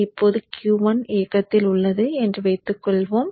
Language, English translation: Tamil, Now let us say Q1 is on